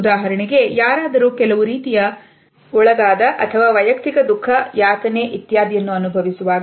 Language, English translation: Kannada, For example, when somebody undergoes some type of a loss, personal grief, suffering etcetera